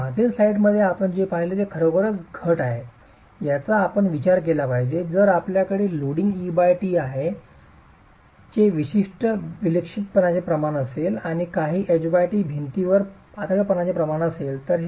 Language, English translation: Marathi, So what you saw in the previous slide was really the reduction factor that you must consider if you have a certain eccentricity ratio of loading E by T or a certain H by T ratio, the slenderness of the wall itself